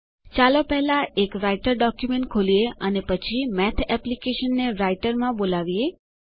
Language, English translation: Gujarati, Let first open a Writer document and then call the Math application inside Writer